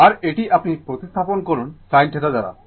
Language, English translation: Bengali, And this one you replace by sin theta